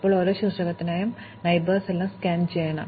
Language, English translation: Malayalam, Now, for each vertex, we have to scan all its neighbors